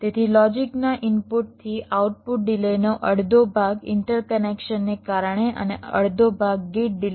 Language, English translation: Gujarati, so half of the input to output delay of the logic will be due to the interconnections and half due to the gate delay